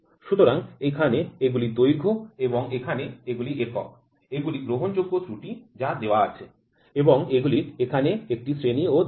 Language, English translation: Bengali, So, here these are the lengths and here is the units which the permissible error which is given and a grade these are also given here